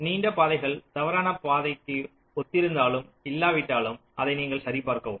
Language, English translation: Tamil, so you check whether long paths correspond to false path or not